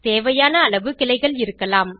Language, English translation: Tamil, There can be as many branches as required